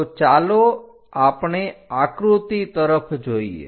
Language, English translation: Gujarati, So, let us look at the picture